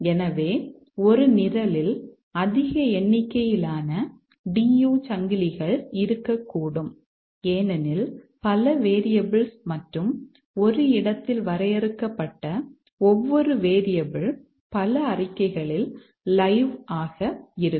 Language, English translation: Tamil, So, a program can contain large number of DU chains because there are many variables and each variable which is defined at a place may be live at several statements